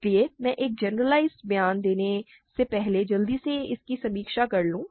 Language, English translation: Hindi, So, let me quickly review this before I make a generalized statement